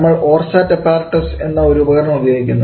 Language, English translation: Malayalam, We use an Apparatus known as the Orsat apparatus